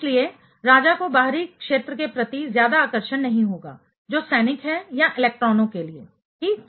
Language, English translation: Hindi, Therefore, therefore, the king will not have much attraction towards the outer sphere those soldier or electrons ok